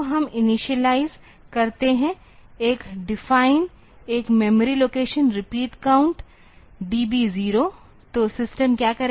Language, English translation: Hindi, So, we initialize one define one memory location repeat count; DB 0